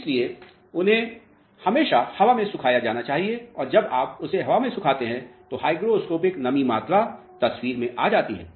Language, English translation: Hindi, So, they should always be air dried and when your air drying them, the hygroscopic moisture content comes into the picture